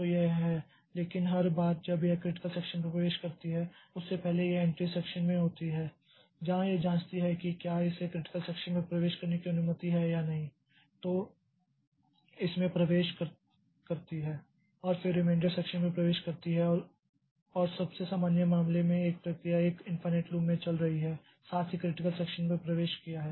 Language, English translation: Hindi, So, so this is the but every time it enters into the critical section before that it is in the entry section where it checks whether something whether it is permitted to enter into the critical section then enters into it then exits and then the remainder section and that for the most general case a process may be running in an infinite loop entered into the critical section simultaneously